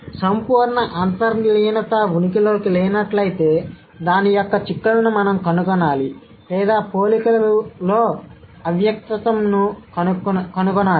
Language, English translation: Telugu, So, if absolute implicitness does not exist, so we have to find out the, find out the implications of it or we have to find out the comparative implicitness